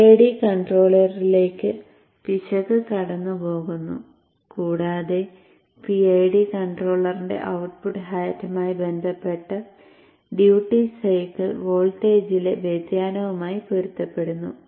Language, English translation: Malayalam, The error is passed on to the PID controller and the output of the PID controller corresponds to the D hat, corresponds to the deviation in the duty cycle, a voltage corresponding to that